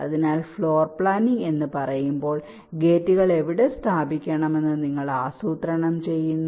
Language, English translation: Malayalam, so when you say floor planning, you are planning where to place the gates